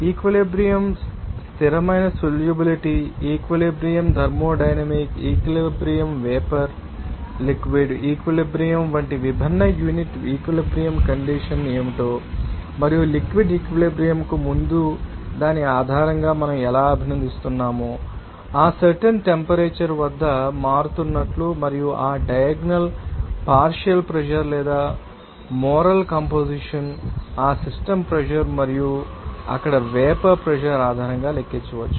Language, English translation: Telugu, And also we have described that what are the different unit equilibrium condition like equilibrium constant solubility equilibrium thermodynamic equilibrium vapor liquid equilibrium and based on that before liquid equilibrium how we appreciate will be changing at that particular temperature and also how that diagonal partial pressure or moral composition can be calculated based on that you know that system pressure and also vapour pressure there